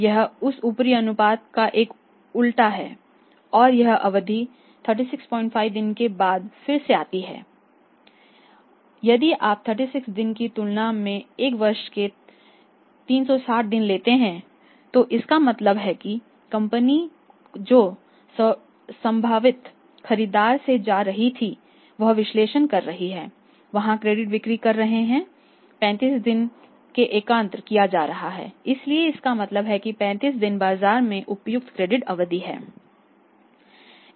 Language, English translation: Hindi, 5 days or if you take 360 days a year than 36 days it means the company who is going to the prospective buyer from the company is making analysis there sales credit sales are being collected in 35 days so it means 35 days is appropriate credit period in the market